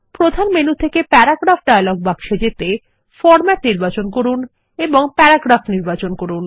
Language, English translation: Bengali, To access the Paragraph dialog box from the Main menu, select Format and select Paragraph